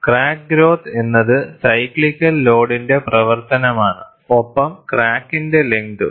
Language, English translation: Malayalam, Crack growth is a function of cyclical load and also crack length